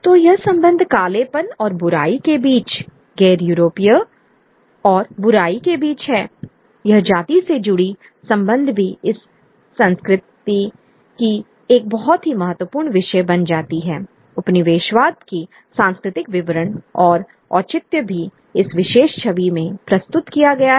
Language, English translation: Hindi, So, this association between blackness and evil, between the non Europeans and evil, this association of race also becomes a very important sort of theme within this culture, that cultural explanation of colonialism